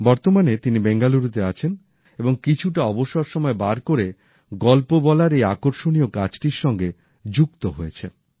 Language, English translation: Bengali, Presently, he lives in Bengaluru and takes time out to pursue an interesting activity such as this, based on storytelling